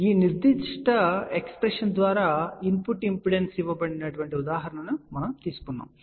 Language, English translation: Telugu, So, we had taken the example where the input impedance is given by this particular expression